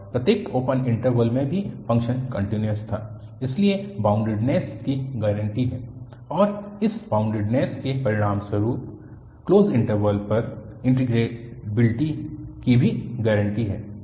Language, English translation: Hindi, And, also the function was continuous in each open interval so the boundedness is guaranteed and the integrability over the closed interval is also guaranteed as a result of this boundedness